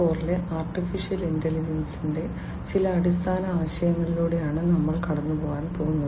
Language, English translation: Malayalam, In this lecture, we are going to go through some of the basic concepts of Artificial Intelligence in Industry 4